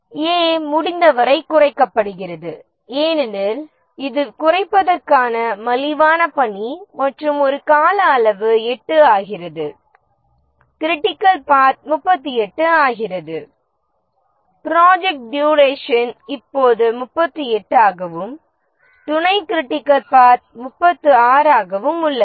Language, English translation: Tamil, A is reduced as much as possible because that is the cheapest task to reduce and the duration for A becomes 8, the critical path becomes 38, the project duration is 38 now and the subcritical path is 36